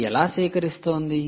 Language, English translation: Telugu, how is it harvesting